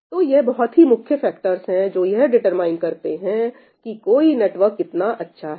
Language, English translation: Hindi, So, these are the major factors that determine how great a network is , how good a network is